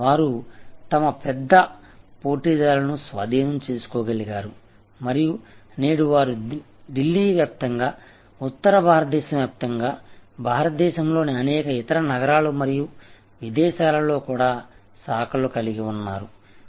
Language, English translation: Telugu, They were able to take over many of their large competitors and today they are spread all over Delhi, all over North India, many other cities of India and even they have branches abroad